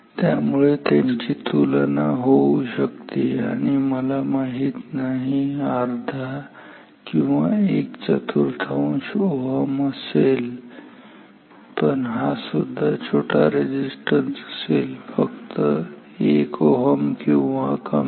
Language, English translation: Marathi, So, therefore, these are comparable maybe this is just maybe I do not know half ohm also maybe this is quarter ohm, but this is also a small resistance maybe this is just 1 ohm or less